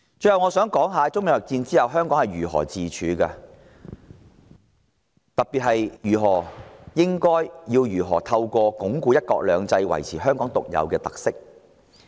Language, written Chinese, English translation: Cantonese, 最後，我想談談在中美貿易戰下，香港如何自處，特別是應如何透過鞏固"一國兩制"，維持香港的獨有特色。, Lastly I wish to talk about how Hong Kong should cope as the trade war between China and the United States rages on . Specifically how Hong Kong can maintain its unique features by bolstering one country two systems